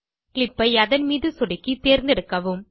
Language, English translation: Tamil, Select a clip by clicking on it